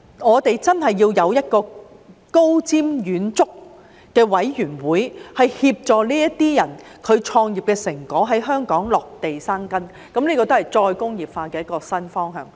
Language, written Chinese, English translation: Cantonese, 我們真的要有一個高瞻遠矚的委員會，協助這些人創業的成果在香港落地生根，這也是再工業化的一個新方向。, We really need to have a forward - looking committee to help the results of these peoples entrepreneurship to take root in Hong Kong and this is also a new direction of re - industrialization